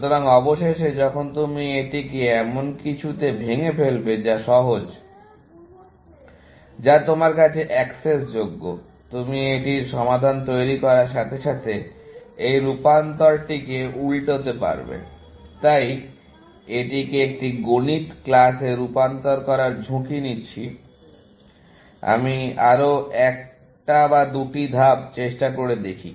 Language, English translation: Bengali, So, eventually, when you break it down into something, which is simple, which is accessible to you; you will have a sort of, invert this transformation as you construct the solution for this, essentially, I am in a risk of converting this into a Maths class; let me try one or two more steps